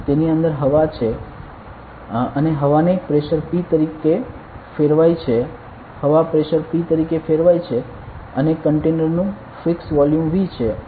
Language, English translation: Gujarati, In inside it, there is air; the air is there and the air is turned as a pressure ok; the air is turned as a pressure P and the volume of the container fixed say volume V ok